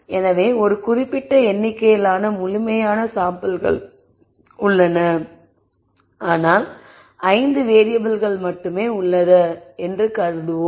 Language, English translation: Tamil, So, let us assume there are a certain number of samples which are complete we have only 5 variables